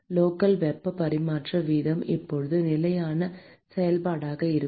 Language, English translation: Tamil, the local heat transfer rate is now going to be a function of position